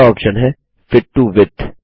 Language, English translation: Hindi, Next option is Fit to Width